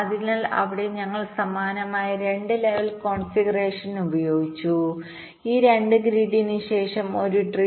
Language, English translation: Malayalam, so there we used a similar kind of a two level configuration: a tree followed by a grid, so the global mesh